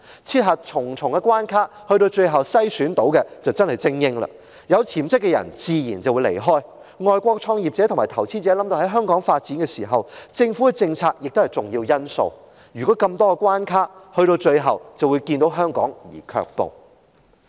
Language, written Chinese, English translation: Cantonese, 設下重重關卡，經重重篩選剩下來的自然是精英，有潛質的人自然會離開香港，外國創業者和投資者想到香港發展，政府的政策也是重要的考慮因素，但面對如此重重關卡，他們最終只會望香港而卻步。, Those who can overcome the numerous obstacles imposed must be elites . While people with potentials would naturally leave Hong Kong foreign entrepreneurs and investors who intend to develop in Hong Kong would take the government policies into serious consideration . Given the numerous obstacles they would eventually hold up their plans